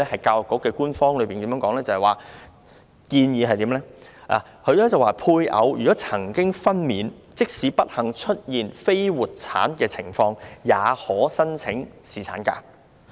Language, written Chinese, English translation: Cantonese, 教育局的官方建議是，如果配偶曾經分娩，即使不幸出現非活產的情況，學校員工也可申請侍產假。, The Education Bureaus official recommendation is that where delivery has taken place of his spouse even in the unfortunate event of stillbirth the school staff member may apply for paternity leave